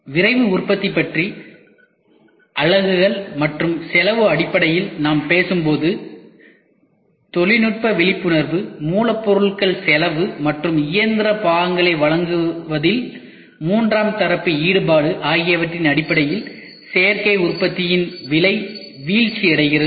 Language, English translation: Tamil, When we talk about Rapid Manufacturing in terms of units and cost, the price of Additive Manufacturing is dropping in terms of technology awareness raw material cost third party involvement in supplying the machine parts